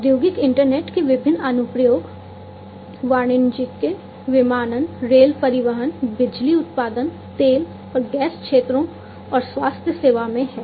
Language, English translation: Hindi, Different applications of the industrial internet commercial aviation, rail transportation, power production, oil and gas sectors, and healthcare